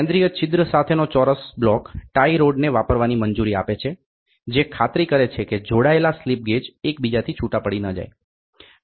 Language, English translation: Gujarati, The square block with center hole permits the use of tie rods, which ensures the built up slip gauges do not fall apart